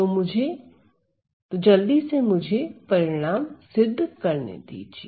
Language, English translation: Hindi, So, let me just show you the result quickly